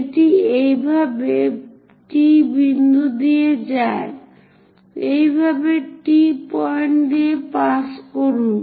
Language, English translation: Bengali, It goes via T point in this way; pass via T point in that way